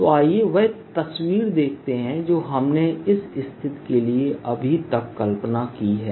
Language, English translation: Hindi, so let us see the picture that is imagine now for this case